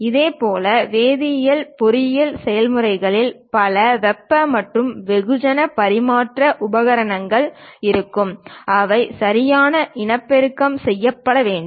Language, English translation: Tamil, Similarly, for chemical engineering, there will be many heat and mass transfer equipment, and that has to be reproduced correctly